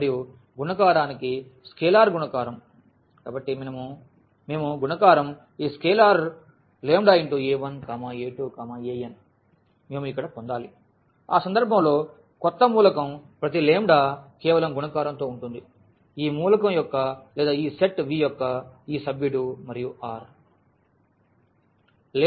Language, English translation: Telugu, And, for the multiplication the scalar multiplication so, when we multiply by this scalar lambda to this a 1, a 2, a 3, a n in that case we should get here now the new element will be just the multiplication of this lambda to each of the element of this element or this member of this set V and for all lambda from R